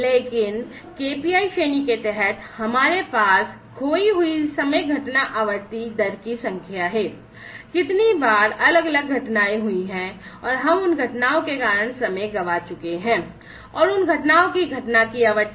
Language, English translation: Hindi, Under the lagging KPIs category, we have number of lost time incident frequency rate, how many times the different incidents have occurred, and we have lost time due to those incidents, and the frequency of occurrence of those incidents